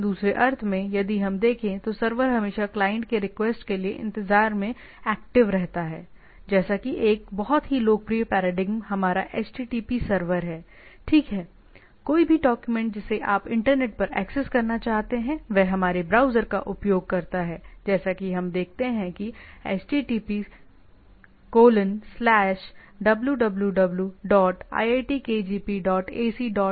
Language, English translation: Hindi, So, in other sense, if we look at, server is always active waiting for the request from the client to happen, like one of the very popular paradigm is our http server, right, any document you want to access over the internet, over the using our browser, so, what we see that “http://www say iitkgp dot ac dot in” right